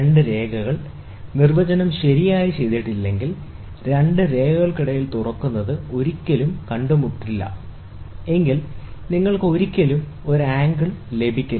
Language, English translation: Malayalam, So, if two lines, if the definition is not properly done, so opening between two lines, which never meet, you will never get an angle